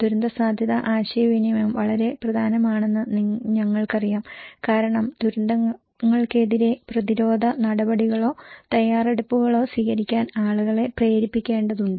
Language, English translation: Malayalam, We know that disaster risk communication is very important because we need to motivate people to take preventive actions or preparedness against disasters